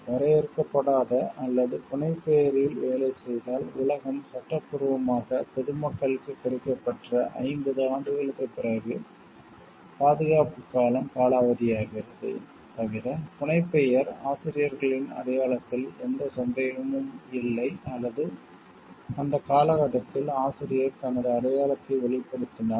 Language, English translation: Tamil, In the case of undefined or pseudonymous work, the term of protection expires 50 years after the world has been lawfully made available to the public; except, if the pseudonym leaves no doubt as to the authors identity or if the author discloses his or her identity during that period